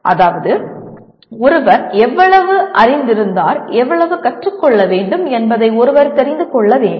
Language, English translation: Tamil, That is, one should know how much he knew and how much he has to learn